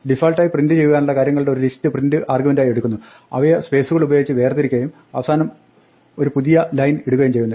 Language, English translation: Malayalam, Now by default print takes a list of things to print, separates them by spaces and puts a new line at the end